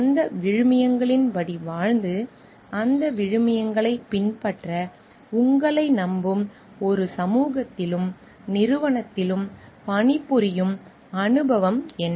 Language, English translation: Tamil, What is the experience of living by those values and working in a society and organization that trust you to practice those values